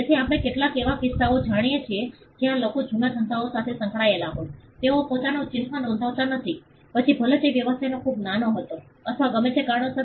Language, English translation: Gujarati, So, we know some cases where people involved in old businesses, they do not register their mark for, whatever reason either the business was too small then or whatever